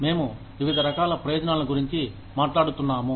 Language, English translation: Telugu, We were talking about, various types of benefits